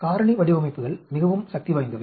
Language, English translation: Tamil, Factorial designs are extremely powerful